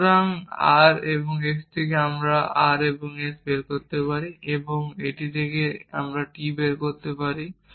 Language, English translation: Bengali, So, from r and s, we can derive r and s and from this we can derive t